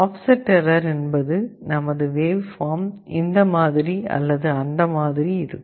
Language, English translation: Tamil, Well offset error means instead of this you may see that your waveform is either like this or like this